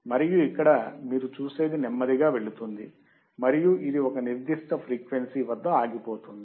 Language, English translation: Telugu, And here what you will see it will go slowly and it will stop at certain frequency right